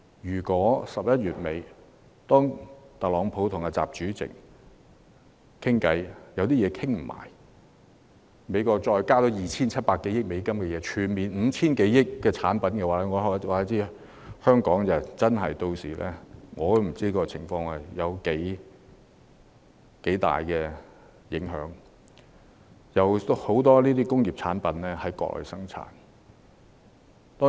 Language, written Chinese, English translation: Cantonese, 如果11月底特朗普和習主席在會談上未能達成全面共識，美國額外對 2,700 億美元的產品徵收關稅，即合共將有達 5,000 多億美元的產品被徵收關稅。, If Donald TRUMP and President XI fail to reach a comprehensive consensus in the negotiation at the end of November another 270 billion worth of products would be taxed that means a total of US500 billion worth of products would be slapped on tariffs